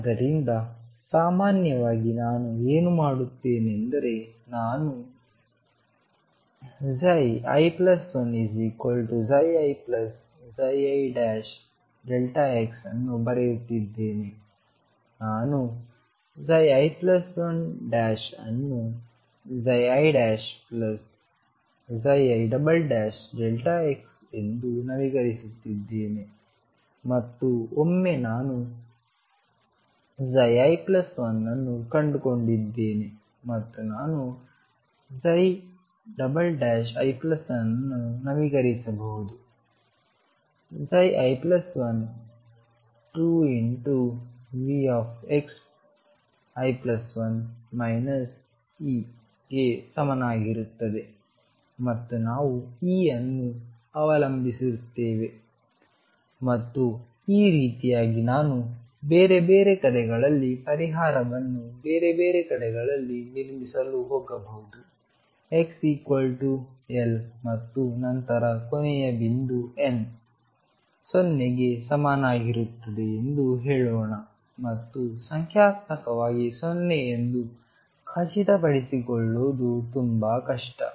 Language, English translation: Kannada, So, in general what I am doing is I am writing psi at i plus 1 th point to be equal to psi at i plus psi at i prime times delta x, I am updating psi prime at i plus 1 as psi i prime plus psi i double prime delta x and once I found psi at i plus I can update i psi double prime here plus 1 is equal to psi at i plus 1 times 2 V at x i plus 1 minus E notice that we will depend on E and this way I can go all the way building up the solution at different points all the way to the other side x equals L and then check if psi let us say the last point is n is equal to 0 and numerically it is very difficult to make sure is 0